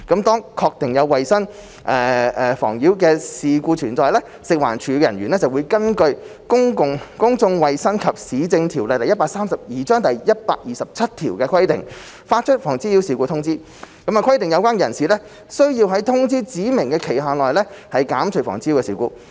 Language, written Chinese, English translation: Cantonese, 當確定有衞生妨擾事故存在，食環署人員會根據《公眾衞生及市政條例》第127條的規定，發出《妨擾事故通知》，規定有關人士須在通知指明期限內減除妨擾事故。, Once the existence of sanitary nuisance is confirmed staff of FEHD will in accordance with section 127 of the Public Health and Municipal Services Ordinance Cap . 132 issue a nuisance notice requiring the relevant person to abate the sanitary nuisance within the period specified in the notice